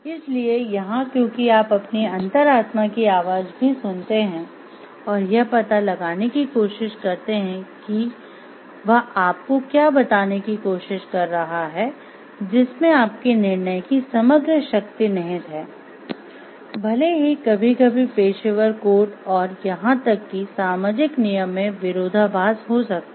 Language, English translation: Hindi, So, here because you listen to your inner conscience you listen to the voice within and try to find out what it is telling you trying to tell you because there lies your holistic power of judgment and even though it sometimes may show contradiction with the professional codes and even societal rules